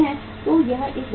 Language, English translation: Hindi, So it is a big cost